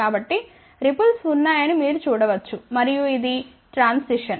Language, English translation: Telugu, So, you can see that there are ripples and this is the transition